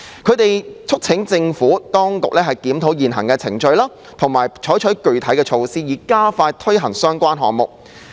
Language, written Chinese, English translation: Cantonese, 他們促請政府當局檢討現行程序，並採取具體措施，以加快推行相關項目。, Members urged the Administration to review the current procedures and adopt concrete measures to speed up the implementation progress of the relevant projects